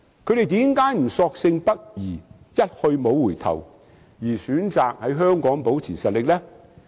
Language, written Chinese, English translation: Cantonese, 他們為何不索性北移，一去不回，而選擇在香港保持實力呢？, Why do they choose to maintain its strength in Hong Kong instead of going northwards and stay there forever?